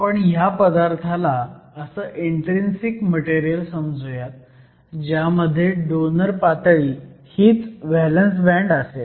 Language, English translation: Marathi, We will treat this material as an intrinsic material with the donor level being your valence band